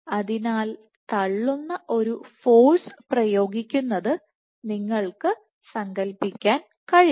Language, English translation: Malayalam, So, you can imagine a pushing force being exerted